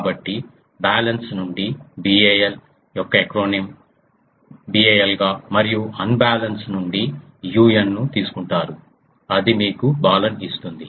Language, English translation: Telugu, So, the acronyms of BAL from balanced it is taken BAL and from unbalance it is taken un that gives you Balun